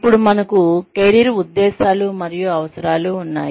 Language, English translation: Telugu, Then, we have career motives and needs